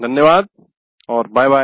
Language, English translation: Hindi, Thank you and bye